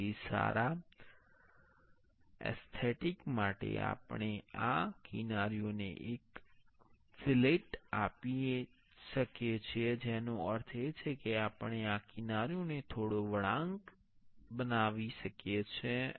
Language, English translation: Gujarati, So, for good aesthetics, we can we can give a fillet to these edges that mean, we can make these edges a little bit curvy